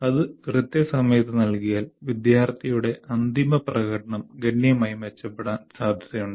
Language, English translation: Malayalam, If that is given, the final performance of the student is likely to improve significantly